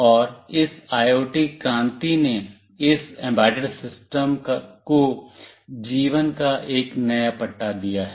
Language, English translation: Hindi, And this IoT revolution has given this embedded system a new lease of life